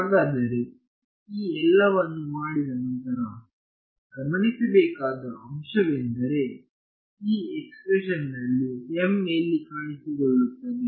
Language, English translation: Kannada, So, what after doing all of this what is interesting to note is where is m appearing in this expression